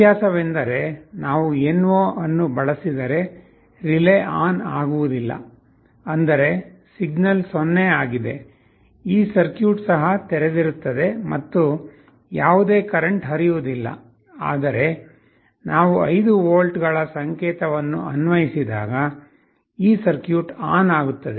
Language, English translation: Kannada, The difference is that if we use NO then when the relay is not on; that means, the signal is 0, this circuit will also be open and there will be no current flowing, but when we apply a signal of 5 volts, this circuit will be turning on